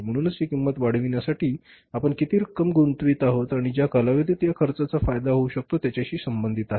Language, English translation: Marathi, So it is normally related to the amount we are going to invest for incurring this cost and the period for which the benefit of this cost can be had